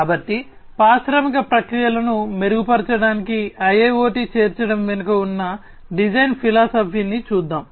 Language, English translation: Telugu, So, let us look at the design philosophy behind the inclusion of IIoT for improving the industrial processes